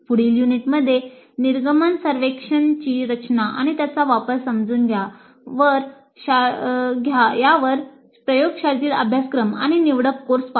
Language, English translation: Marathi, So in the next unit we look at the under design and use of exit survey for laboratory courses and elective courses